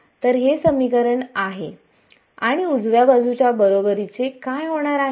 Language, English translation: Marathi, So, this is the equation and what is the right hand side going to be equal to